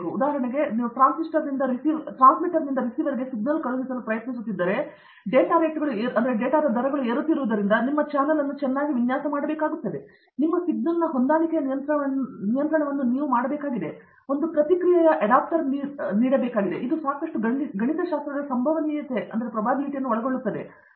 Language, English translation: Kannada, For example, if you are trying to send a signal from the transmitter to the receiver, the data rates have to are going up so you need to model your channel very well, you need do an adaptive control of your signal, you need to give a feedback adapter, it is a lot of mathematics probability too that goes in